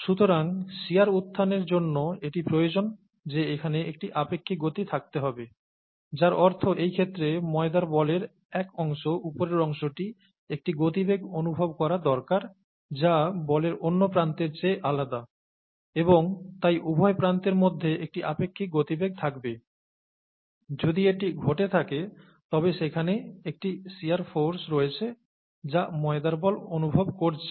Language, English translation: Bengali, So this is a requirement for shear to arise that there has to be a relative motion, which means one part of the dough ball in this case, the upper part needs to be experiencing a velocity that is different from the other end of the dough ball, let us say, and therefore there is a relative velocity between the two ends, and if that happens, there is a shear force that is experienced by the dough ball, okay